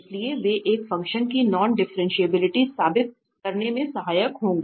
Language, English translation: Hindi, So they will be helpful to prove non differentiability of a function